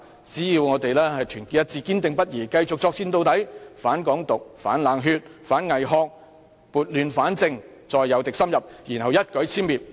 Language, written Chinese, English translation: Cantonese, 只要我們團結一致，堅定不移，繼續作戰到底，反港獨、反冷血，反偽學，撥亂反正，再誘敵深入，然後予以一舉殲滅！, As long as we remain united and unswerving and persist in our battle against Hong Kong independence cold - bloodedness and bogus academics till the end we will be able to right the wrong . Then we may lure our enemies to move closer and exterminate them in one go